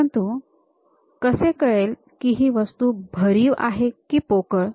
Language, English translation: Marathi, How to know, whether it is a solid object or a hollow one